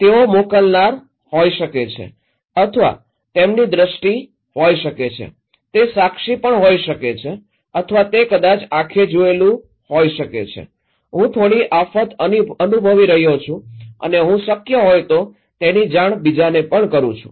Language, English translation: Gujarati, They could be senders or maybe eye, eyewitness, eye watched maybe I, I am experiencing some disaster and I am conveying that relaying that to others it is possible